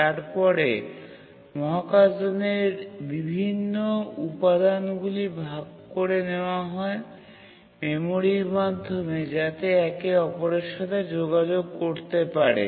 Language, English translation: Bengali, So, the different components of the spacecraft could communicate with each other through shared memory